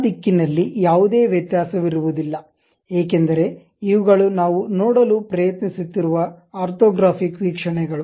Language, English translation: Kannada, There will not be any variation in that direction because these are the orthographic views what we are trying to look at